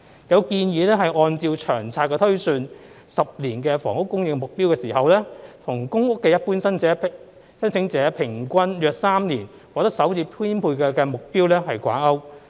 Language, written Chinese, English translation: Cantonese, 有建議按照《長遠房屋策略》推算10年房屋供應目標的時候，與公屋一般申請者平均約3年獲得首次編配的目標掛鈎。, It is suggested that the projected 10 - year housing supply target under the Long Term Housing Strategy LTHS be linked to the target of allocating the first PRH unit to an average applicant in about three years on average